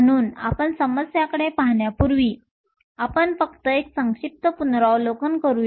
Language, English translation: Marathi, So, before we start looking at the problems, we just do a brief review